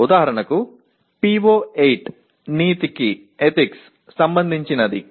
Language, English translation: Telugu, For example PO8 is related to ethics